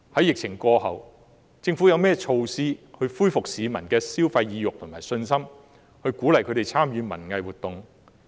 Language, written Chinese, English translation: Cantonese, 疫情過後，政府有何措施恢復市民的消費意欲和信心，鼓勵他們參與文藝活動呢？, After the epidemic has subsided what measures will the Government put in place to restore consumer sentiment and confidence and encourage people to participate in cultural and arts activities?